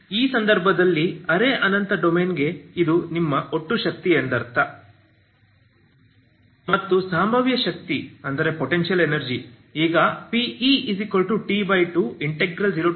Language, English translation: Kannada, So in this case for the semi infinite domain you have this is your total energy, okay so this is your total energy